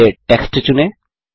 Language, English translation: Hindi, First select the text